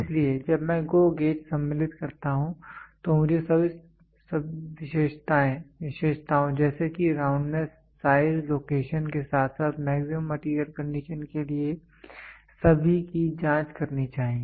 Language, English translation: Hindi, So, when I insert the GO gauge I should check for all for the all features such as roundness, size, location as well as the maximum material conditions